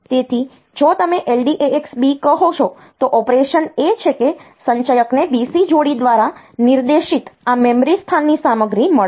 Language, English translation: Gujarati, So, if you say LDAX B the operation is that the accumulator will get the content of this memory location pointed to by the BC pair